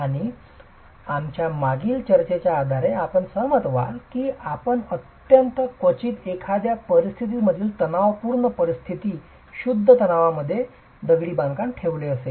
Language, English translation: Marathi, And based on our previous discussions, you will agree that very rarely would you put masonry into completely a tension kind of a situation, pure tension